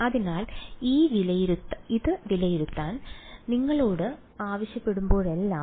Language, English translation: Malayalam, So, whenever you are asked to evaluate this